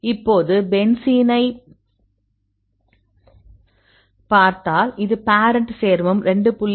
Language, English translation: Tamil, Now you see the benzene this is a parent compound this is 2